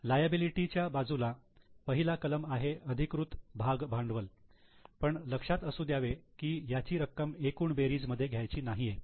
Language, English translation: Marathi, In liability side the first item written is authorize share capital although keep in mind that this is not to be taken in the total